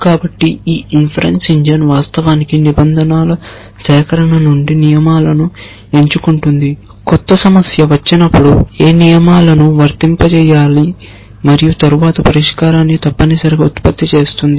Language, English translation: Telugu, So, this inference engine is the one which will actually pick rules from the collection of rules when a new problem comes beside which rules to apply and then generate the solution essentially